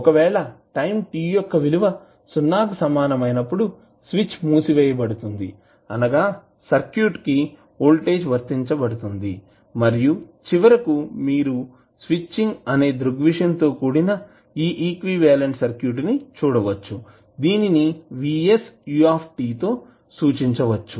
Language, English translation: Telugu, If at time t equal to 0 switch is closed means voltage is applied to the circuit and finally you will see that the equivalent circuit including the switching phenomena can be represented as vs into ut